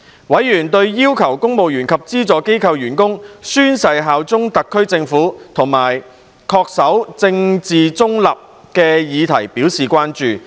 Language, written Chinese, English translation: Cantonese, 委員對要求公務員及資助機構員工宣誓效忠特區政府及恪守政治中立的議題表示關注。, Panel members expressed concern over the subject of requiring civil servants and staff of subvented organizations to swear allegiance to the Hong Kong SAR Government and adhere to political neutrality